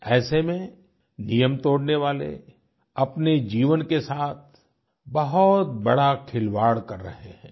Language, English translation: Hindi, In that backdrop, those breaking the rules are playing with their lives